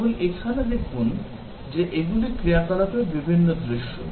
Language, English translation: Bengali, Just see here that, these are the different scenarios of operation